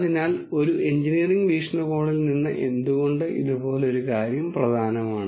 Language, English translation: Malayalam, So, from an engineering viewpoint why would something like this be important